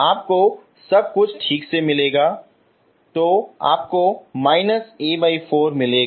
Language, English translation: Hindi, You will get everything properly so you get minus A by 4